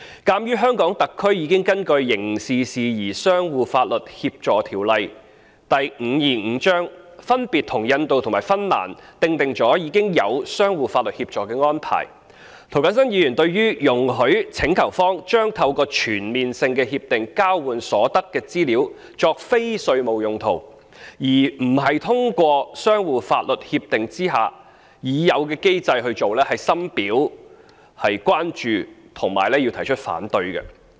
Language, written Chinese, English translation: Cantonese, 鑒於特區已根據《刑事事宜相互法律協助條例》分別與印度及芬蘭訂定相互法律協助安排，涂謹申議員對於容許請求方將透過全面性協定交換所得的資料作非稅務用途，而不是通過相互法律協助已有的制度的做法，深表關注並提出反對。, Since there are pre - existing arrangements for mutual legal assistance already made by HKSAR with India and Finland respectively under the Mutual Legal Assistance in Criminal Matters Ordinance Cap . 525 Mr James TO has expressed serious concerns over and opposition to permitting the use of the information exchanged through CDTAs by the requesting party for non - tax related purposes instead of resorting to the pre - existing regime under mutual legal assistance